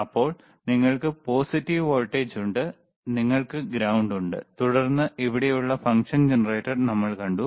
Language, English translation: Malayalam, tThen you have positive voltage, you have ground, and then we have seen the function generator which is right over here, and t